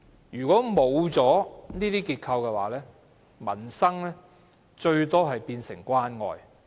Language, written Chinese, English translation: Cantonese, 如果欠缺這些結構，民生最多只可變成關愛。, In the absence of these frameworks work on peoples livelihood would at most be some initiatives of care